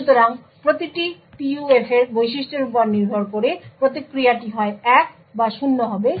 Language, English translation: Bengali, So, depending on the characteristics of each PUF the response would be either 1 or 0